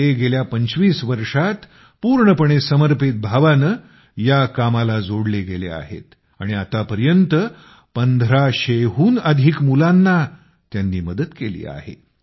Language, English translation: Marathi, He has been engaged in this task with complete dedication for the last 25 years and till now has helped more than 1500 children